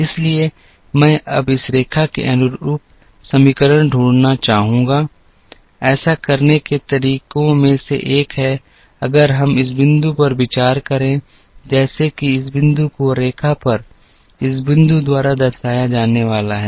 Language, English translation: Hindi, So, I would like to now find the equation corresponding to this line, one of the ways to do that is by, if we consider a point like this point is going to be represented by this point on the line